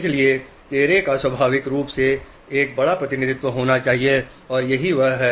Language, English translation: Hindi, So, face naturally has to have a larger representation